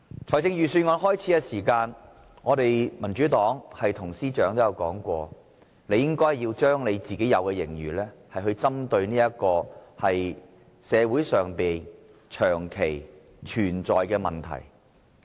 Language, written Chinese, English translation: Cantonese, 在開始草擬預算案時，民主黨曾對司長說，他應該將盈餘用於社會上長期存在的問題。, When the Financial Secretary began to draft the Budget the Democratic Party told him that he should use the surplus on solving problems long existed in society